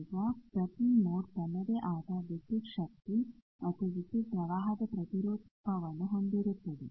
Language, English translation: Kannada, Now, every mode has its own counterpart of voltage and current